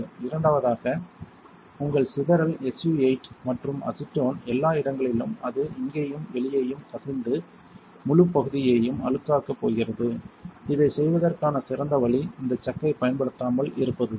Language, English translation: Tamil, Second your splattering SU 8 and acetone kind of everywhere it will leak out here and out here and it is going to make the whole area dirtier, the better way to do it is not to use this chuck